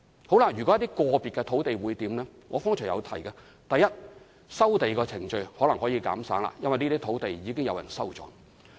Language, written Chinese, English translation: Cantonese, 至於一些個別的土地，正如我剛才提到，第一，收地程序或許可以減省，因為土地已被收購。, As for individual pieces of land as I said just now first the land resumption procedure may be foregone as the land has already been acquired